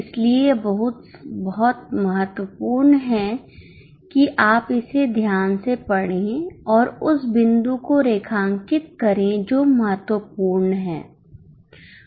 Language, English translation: Hindi, So, it is very important that you read it carefully and underline that point which is important